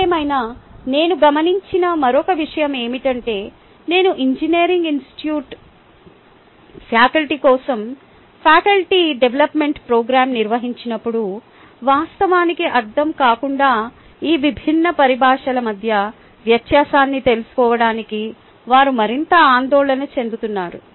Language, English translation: Telugu, however, one of the one other things that i have observed is when i conduct faculty development program for engineering institute faculty, ah, they are more worried to find out, ah, the difference between these different terminologies rather than what it actually means